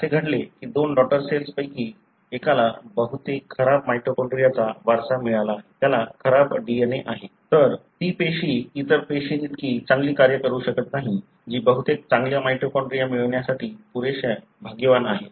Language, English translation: Marathi, It so happened that one of the two daughter cells inherited most of the bad mitochondria, having bad DNA, that cell may not function as good as the other cell which is lucky enough to get most of the good mitochondria